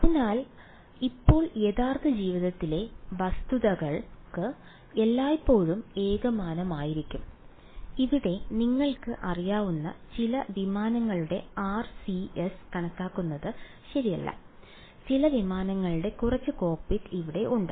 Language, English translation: Malayalam, So, right now real life objects will they always be homogenous; obviously not right think of your things that your calculating the RCS of some you know aircraft over here right this is some aircraft there is some cockpit over here